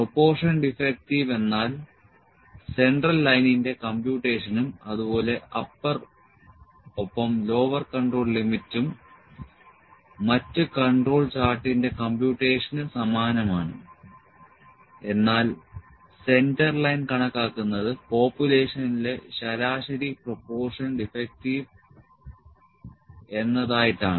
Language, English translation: Malayalam, Proportion defective means, the computation of central line as well as the upper and lower control limit is similar to the computation of the other control chart, but the centerline is computed as the average proportion defective in the population that is denoted by P bar